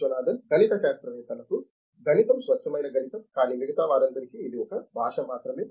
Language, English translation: Telugu, Mathematics is pure mathematics, mathematics for mathematicians, but for all others it is only a language